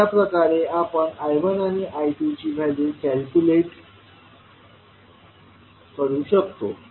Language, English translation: Marathi, So, this way you can calculate the value of I1 and I2